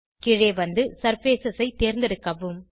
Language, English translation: Tamil, Scroll down and select Surfaces